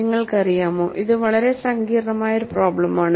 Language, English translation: Malayalam, You know, it is a very complex problem